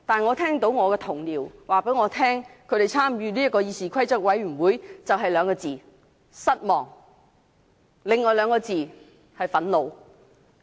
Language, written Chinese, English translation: Cantonese, 然而，我的同事告訴我，他們參與議事規則委員會感到的就只有"失望"兩個字，以及另外的兩個字，就是"憤怒"。, However my colleagues have told me that their experience in the Committee on Rules of Procedure could only be described as disappointing and infuriating